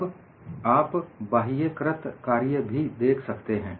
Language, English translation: Hindi, Then, you also see the external work done